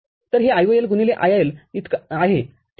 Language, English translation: Marathi, So, this is IOL by IIL, all right